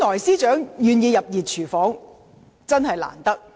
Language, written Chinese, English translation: Cantonese, 司長願意加入"熱廚房"，原本真的很難得。, The Secretary for Justice should really have been commended for her willingness to enter the hot kitchen